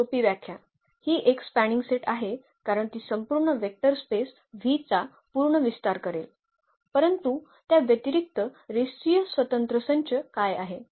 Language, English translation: Marathi, So, the simple definition it is a spanning set because it should span the whole vector space V, but what is in addition that the linearly independent set